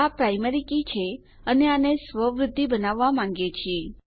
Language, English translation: Gujarati, This is the primary key and we want it to make auto increment